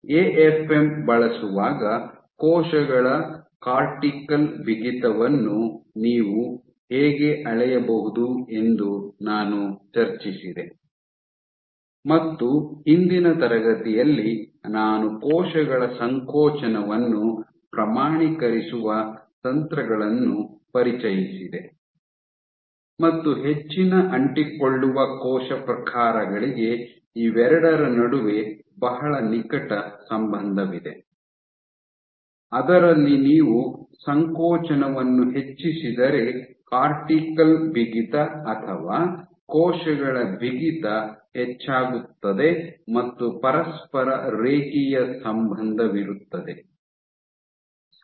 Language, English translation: Kannada, So, while using the AFM I discussed how you can measure cortical stiffness of cells, and in the last class I introduced the techniques decided how you can go about quantifying contractility of cells and there is for most adherent cell types there is a very close relationship between the two, in that if you increase contractility your cortical stiffness or stiffness of cells is going to increase